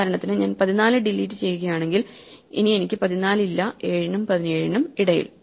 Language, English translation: Malayalam, If I delete, for example, 14 then I have no longer 14 between 7 and 17 and so on